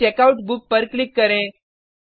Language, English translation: Hindi, Then click on Checkout book